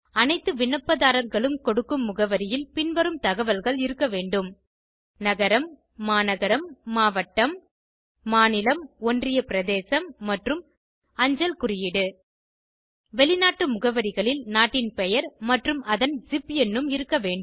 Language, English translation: Tamil, The address given by all the applicants should include these details Town/City/District, State/Union Territory, and PINCODE Foreign addresses must contain Country Name along with its ZIP Code